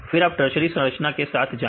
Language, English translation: Hindi, Then go with tertiary structure